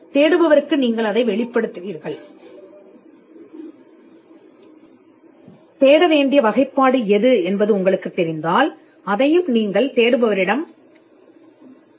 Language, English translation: Tamil, Then you would disclose that to the searcher, if there are classification that you know which needs to be searched, you would stipulate that to the searcher